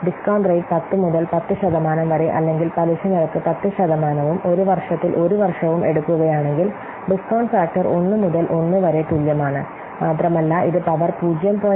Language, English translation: Malayalam, If you will take the discount rate as 10% or the interest rate at 10% and one year period for one year period, the discount factor is equal 1 by 1 plus this much 0